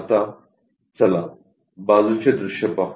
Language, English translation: Marathi, Now, let us look at the side view